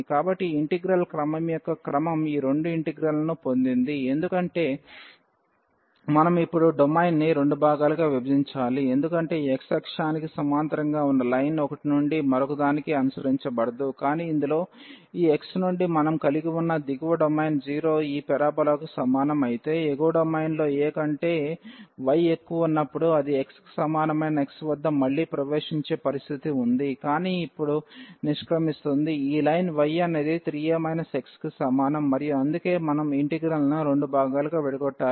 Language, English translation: Telugu, So, this is the order the change of order of integration we got this 2 integrals because we need to divide now the domain into 2 parts because the line this parallel to this x axis was not following from 1 to the another one, but in this lower domain we had from this x is equal to 0 to this parabola while in the upper domain here when y is greater than a, then we have the situation that it is entering again at x is equal to 0, but it will exit now from this line y is equal to 3 a minus x and that is the reason we have to break the integral into 2 parts